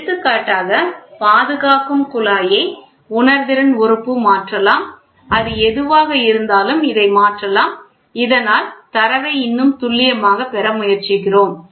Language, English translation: Tamil, For example, the protecting tube can be changed the sensing element whatever it is there this can be changed, so that we try to get the data more accurate